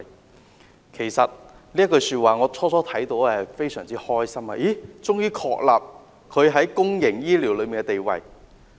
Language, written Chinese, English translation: Cantonese, 當我聽到這句話，感到非常高興，政府終於確立它在公營醫療中的地位。, I was very delighted at hearing these words . The Government has finally confirmed its positioning in the development of the public health care sector in Hong Kong